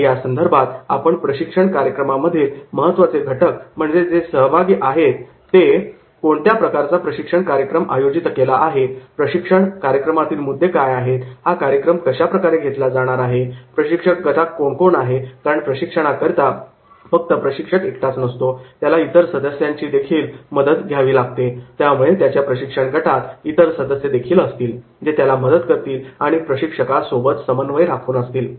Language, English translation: Marathi, And then in that case if these elements in the group process that is who are the participants, what type of the training program is there, what are the contents of the training program, how is the delivery of the training program, what is the training team, who are in the training team because the trainer will be not alone, trainer will have certain assistance, he will have certain team members, those will be helping, they will be having certain correspondence with the trainer